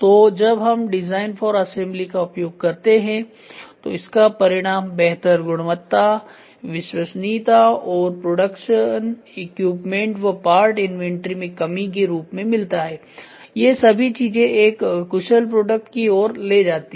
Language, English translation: Hindi, So, when we try to follow a design for assembly the results in improved quality, reliability and a reduction in the production equipment and part inventory all these things leads to a efficient product